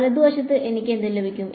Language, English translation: Malayalam, On the right hand side, what will I get